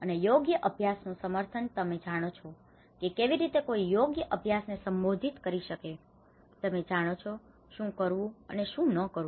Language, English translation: Gujarati, And advocacy of right practices, you know how one can actually address the right practices, you know what to do and what not to do